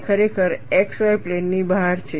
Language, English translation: Gujarati, It is really out of plane of the x y plane